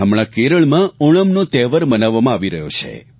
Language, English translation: Gujarati, The festival of Onam is being celebrated in Kerela